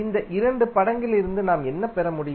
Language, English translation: Tamil, So, what we can get from these two figures